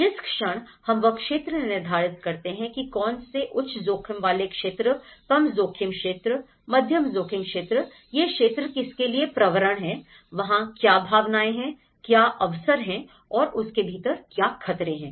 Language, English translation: Hindi, The moment you zone them which is the high risk, which is the low risk, which is a moderate risk, which are prone for this, what are the possibilities, what are the opportunities, what are the threats within it